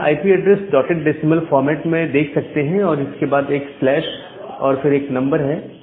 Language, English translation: Hindi, So, we have the IP address in the dotted decimal format followed by slash some number